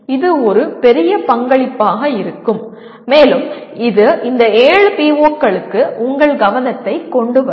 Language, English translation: Tamil, That would be a really a great contribution as well as it will bring it to your attention to these 7 POs